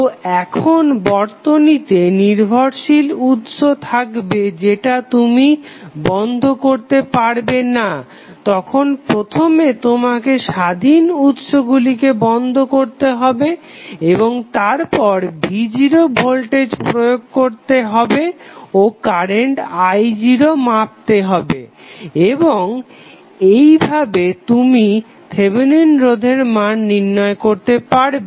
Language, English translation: Bengali, So, when you have dependent source available in the circuit which you cannot remove you will first remove all the independent sources and then apply voltage v naught and try to measure the current i naught and accordingly you can find out the value of Thevenin resistance